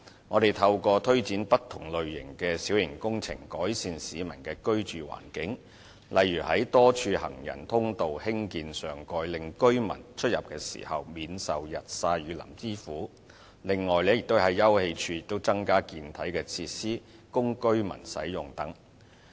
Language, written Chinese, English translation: Cantonese, 我們透過推展不同類型的小型工程，改善市民的居住環境，例如在多處行人通道興建上蓋，令居民出入時免受日曬雨淋之苦；另外，在休憩處增加健體設施，供居民使用等。, We have improved the living environment for members of the public by implementing different types of minor works such as the construction of covers on walkways in various places so that members of the public will not be tormented by the elements when commuting and the installation of more fitness facilities at sitting - out areas for residents use